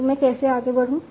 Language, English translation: Hindi, So how do I proceed